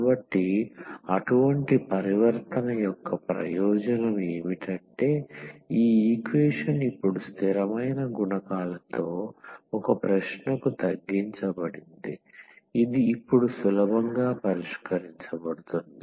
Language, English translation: Telugu, So, that is the benefit of such transformation that this equation is reduced now to a question with constant coefficients which are easy to which is easy to solve now